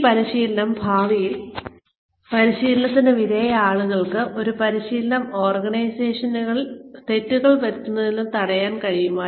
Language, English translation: Malayalam, Will the training in future, will people who undergo this training, be able to use that training, and prevent the organization, from making the mistakes, it used to earlier